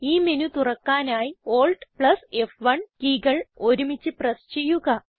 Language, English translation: Malayalam, To open this menu, press Alt+F1 keys simultaneously on your keyboard